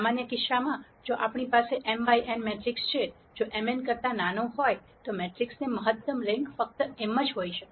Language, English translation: Gujarati, In a general case if I have a matrix m by n, if m is smaller than n, the maximum rank of the matrix can only be m